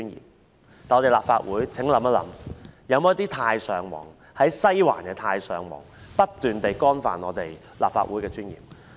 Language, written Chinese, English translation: Cantonese, 可是，請立法會議員想一想：是否有一些"太上皇"、在西環的"太上皇"不斷地干犯立法會的尊嚴呢？, However I ask Legislative Council Members to consider this Are there some overlords some overlords in Western District who keep violating the dignity of the Legislative Council?